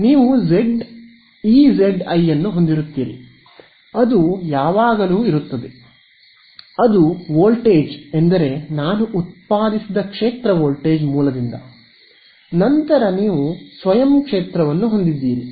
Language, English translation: Kannada, So, you will have E z i ok, that is always there, that is the voltage I mean the field produced by the voltage source, then you have the self field right